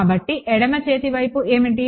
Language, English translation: Telugu, So, what is the left hand side